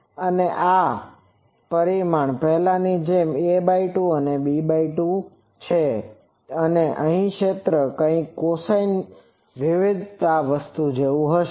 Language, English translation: Gujarati, Now, this dimension is as before a by 2, this one is b by 2 and here the field will be something like this a cosine variation thing